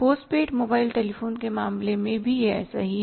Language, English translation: Hindi, In case of the post paid mobile telephones also it is like that